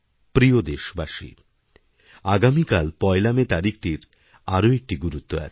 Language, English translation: Bengali, My dear countrymen, tomorrow, that is the 1st of May, carries one more significance